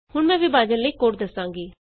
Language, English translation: Punjabi, Now, I will explain the code for division